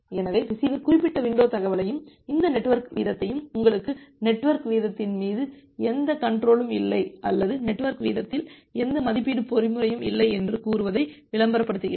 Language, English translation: Tamil, So, the receiver is advertising that particular window information and this network rate you do not have any control over the network rate or rather to say you do not have any estimation mechanism over the network rate